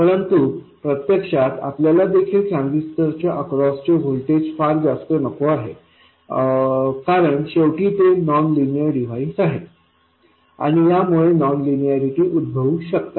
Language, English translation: Marathi, But in practice, you also don't want the voltage across the transistor to become very large because it's after all a nonlinear device and that will cause non linearities